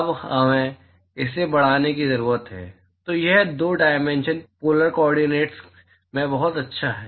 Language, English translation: Hindi, Now we need to extend this; so this is very good a in 2 dimensional polar coordinates